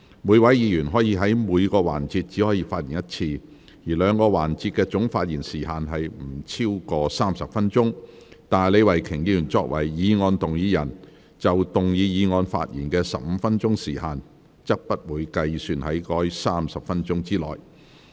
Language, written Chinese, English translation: Cantonese, 每位議員在每個環節只可發言一次，兩個環節的總發言時限不得超過30分鐘，但李慧琼議員作為議案動議人，就動議議案發言的15分鐘時限，則不計算在該30分鐘之內。, Each Member may only speak once in each session and is subject to a total speaking time limit of no more than 30 minutes for the two sessions . However the speaking time of up to 15 minutes for moving the motion by Ms Starry LEE as the motion mover will not be counted towards that 30 minutes